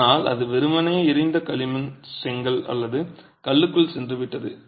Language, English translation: Tamil, But it simply moved into the burnt clay brick or stone